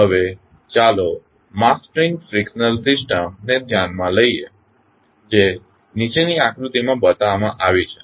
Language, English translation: Gujarati, Now, let us consider the mass spring friction system which is shown in the figure below